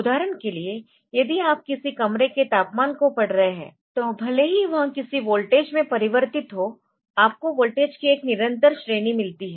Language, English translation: Hindi, For example, if you are say reading the temperature of a room so, that is the even if it is converted into some voltage so, what you get is a continuous range of voltages